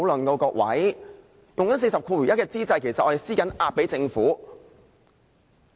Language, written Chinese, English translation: Cantonese, 在動用第401條之際，其實我們正在向政府施壓。, When I invoked RoP 401 I was actually putting pressure on the Government